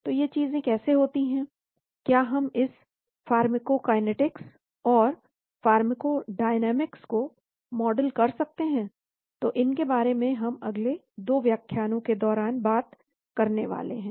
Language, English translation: Hindi, So how these things happen, can we model this pharmacokinetics and pharmacodynamics is what we are going to talk about in the course of next 2 lectures